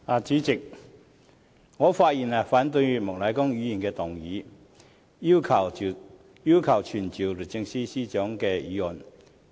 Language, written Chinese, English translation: Cantonese, 主席，我發言反對莫乃光議員動議要求傳召律政司司長的議案。, President I speak in opposition to the motion moved by Mr Charles Peter MOK to summon the Secretary for Justice